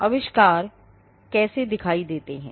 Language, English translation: Hindi, How inventions look